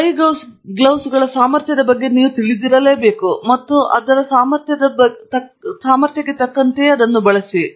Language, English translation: Kannada, So you should be aware of what is the capability of the glove and then use it accordingly